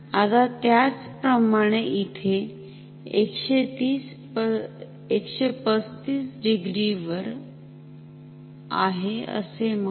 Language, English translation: Marathi, Now, similarly say at here saying this is 135 degree